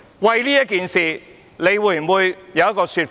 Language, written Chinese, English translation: Cantonese, 為此，你會否有一個說法？, Will you give an account on this point?